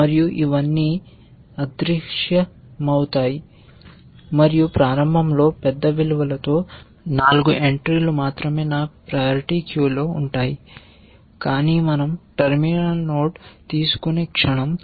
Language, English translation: Telugu, And all this will vanish and so, only 4 entries will remain in my parity queue with the values initially large, but the moment we take a terminal node